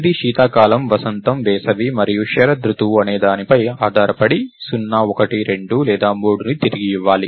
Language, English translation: Telugu, This is supposed to return 0, 1, 2 or 3 depending on whether its winter, spring, summer and autumn